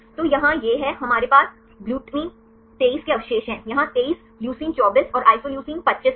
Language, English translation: Hindi, So, here this is the; we have the residues GLU 23 is here 23, leucine 24 and isoleucine is in 25